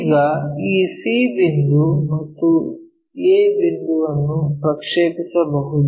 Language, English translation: Kannada, Now, we can project this c point and a point